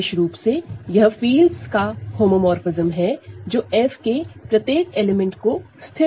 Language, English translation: Hindi, So, in particular, it is a homomorphism of fields which fixes every element of F